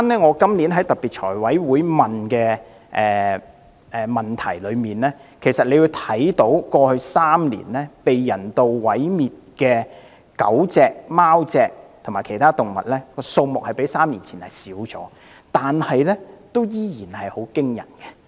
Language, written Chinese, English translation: Cantonese, 我今年在特別財務委員會提出質詢，當中提及過去3年被人道毀滅的狗、貓及其他動物的數目較3年前少，但數目仍然很驚人。, At a special meeting of the Finance Committee this year I asked a question in which I said that the numbers of dogs cats and other animals euthanized have reduced in the past three years but they are still alarming